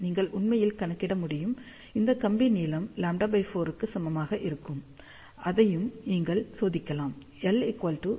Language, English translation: Tamil, You can actually calculate this wire length will come out to be equal to lambda by 4 and you can test that